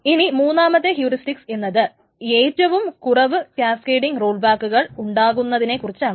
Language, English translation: Malayalam, And the third heuristic is the one that induces the lowest number of cascading rollbacks